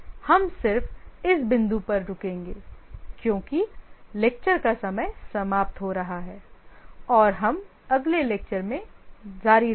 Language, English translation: Hindi, We will just stop at this point because the lecture hour is getting over and we will continue in the next lecture